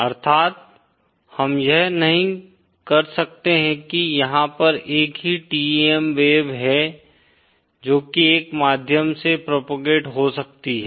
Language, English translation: Hindi, That is we cannot have there is a single TEM wave that can propagate through a medium